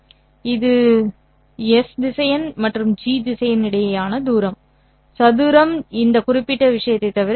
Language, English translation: Tamil, This is the distance between S vector and G vector square is nothing but this particular thing